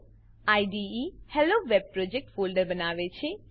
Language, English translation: Gujarati, The IDE creates the HelloWeb project folder